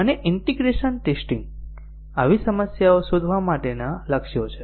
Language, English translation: Gujarati, And integration testing, targets to detect such problems